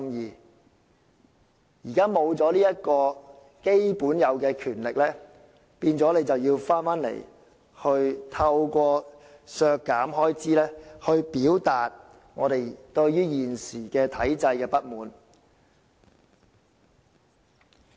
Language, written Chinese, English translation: Cantonese, 現在立法會沒有這項應有的基本權力，於是我們要透過提出削減開支來表達我們對現時體制的不滿。, Currently the Legislative Council does not have this due fundamental power and therefore we have to propose reduction of expenditures to express our dissatisfaction with the existing system